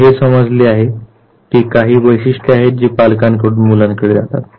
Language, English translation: Marathi, Now, it has been understood that there are certain traits that pass from parents to children